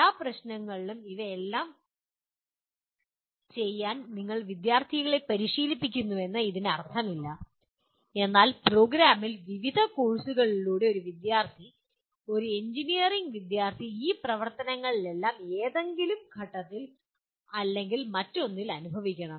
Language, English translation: Malayalam, It does not mean that with every problem you train the student to do all these, but in the program through various courses a student, an engineering student should experience all these activities at some stage or the other